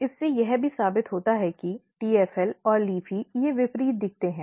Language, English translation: Hindi, This also proves that TFL and LEAFY they looks opposite